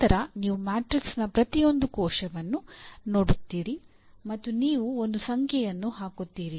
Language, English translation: Kannada, Then you look at each cell in the matrix and you put a number